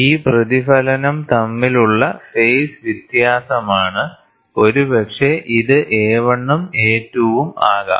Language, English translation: Malayalam, So, that is a phase difference between this reflection maybe A 1 and A 2